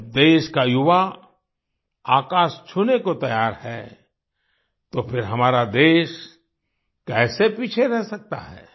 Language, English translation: Hindi, When the youth of the country is ready to touch the sky, how can our country be left behind